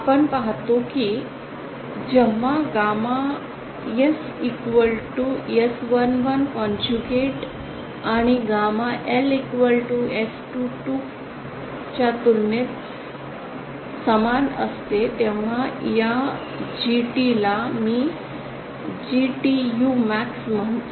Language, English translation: Marathi, We see that when gamma S is equal to S11 conjugate and gamma L is equal to S22 conjugate then this GT which is its maximum value which I call GTU max